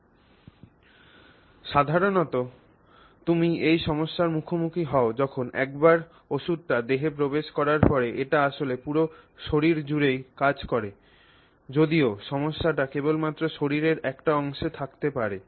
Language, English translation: Bengali, So that variation may be there, but generally you are faced with this issue that once the medicine is put into the body, it is actually acting all over the body even though you may actually have a problem only at one part of your body, right